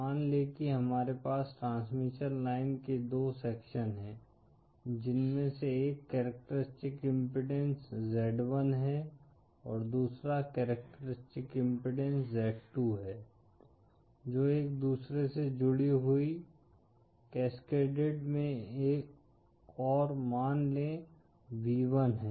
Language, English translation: Hindi, Suppose we have 2 sections of transmission line, one having characteristic impedance z1 the other having characteristic impedance z2, connected with each other in cascade & suppose v1